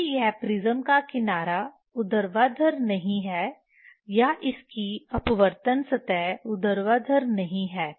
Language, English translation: Hindi, If this prism is not edge is not vertical or its refracting surface is not vertical